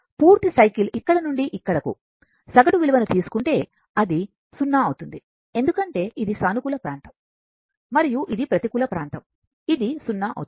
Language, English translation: Telugu, If you take average value from for the full cycle complete cycle from here to here, it will be 0 because this is positive area and this is negative area it will become 0